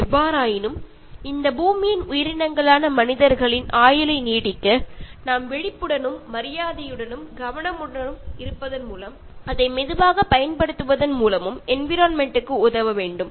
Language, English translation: Tamil, However, in order to prolong the life of human beings as species on this Earth we need to help the environment by being mindful, respectful and careful and making gently use of it